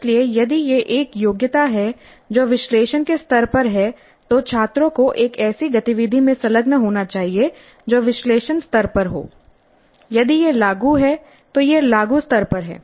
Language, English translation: Hindi, So if it is a competency that is at the level of analyzed, students must engage in an activity that is at analyzed level